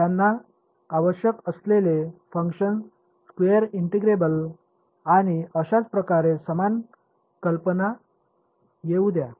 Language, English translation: Marathi, The function they are needed to be square integrable and so on let so, similar idea